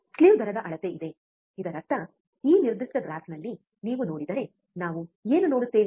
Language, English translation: Kannada, There is a measure of slew rate; that means, if you see in this particular graph, what we see